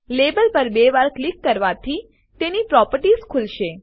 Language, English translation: Gujarati, Double clicking on the label, brings up its properties